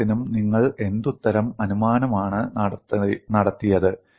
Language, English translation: Malayalam, For all that, what is the kind of assumption that you have done